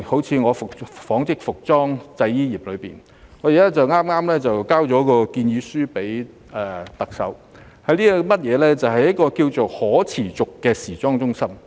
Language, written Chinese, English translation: Cantonese, 以我所屬的紡織服裝製衣業為例，我剛向特首提交了建議書，提議在大灣區內建設可持續的時裝中心。, Take the textile and fashion industry to which I belong as an example . I have just submitted a proposal to the Chief Executive on the establishment of a sustainable fashion centre in GBA